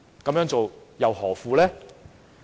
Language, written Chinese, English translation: Cantonese, 這樣做又何苦？, What is the point of doing this?